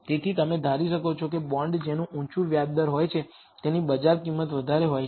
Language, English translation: Gujarati, So, you would presume that the bond which has a higher interest rate would have a higher market price